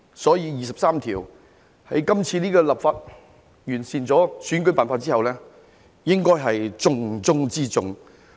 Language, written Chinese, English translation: Cantonese, 所以，在今次這項立法工作中完善了選舉辦法之後，就第二十三條立法應該是重中之重。, Therefore legislation on Article 23 of the Basic Law should be our top priority after improving the electoral method in this legislative exercise